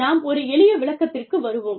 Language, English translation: Tamil, Let us come to a simple explanation